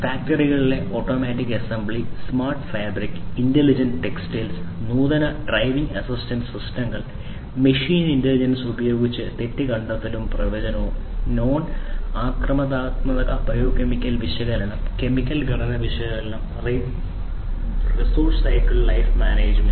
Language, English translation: Malayalam, Automatic assembly in factories, smart fabric and intelligent textiles, advanced driving assistance systems, fault detection and forecast using machine intelligence, non invasive biomechanical analysis, chemical component analysis resource lifecycle management